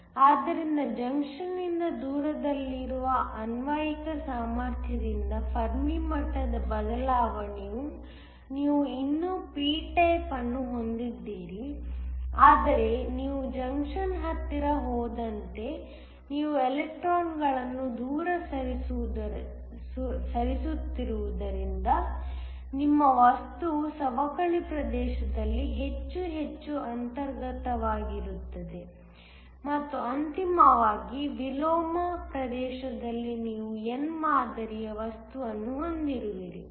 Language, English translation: Kannada, So, the Fermi level shift by the applied potential far away from the junction you still have a p type, but as you go closer towards the junction since you are moving electrons away your material becomes more and more intrinsic in the depletion region and ultimately, in the inversion region you have an n type material